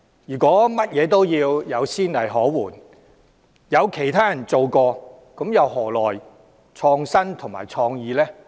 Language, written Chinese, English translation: Cantonese, 如果任何事情均要有先例可援，有其他人做過才做，又何來創新和創意？, If precedents have to be provided for every proposal we can only follow the footsteps of others; how can we be innovative and creative?